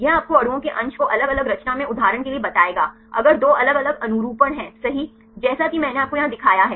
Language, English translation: Hindi, This will tell you the fraction of the molecules in different conformation for example, if two different conformations right the for I showed you here